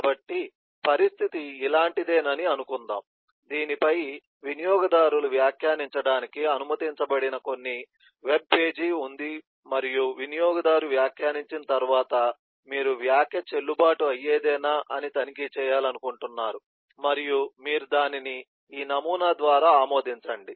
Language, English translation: Telugu, so let’s assume that the situation is something like this: that eh, there is eh, some webpage on which users are allowed to put comment and once the user has put the comment, then you want to check whether comment can be is a valid one and you approve it to be this pattern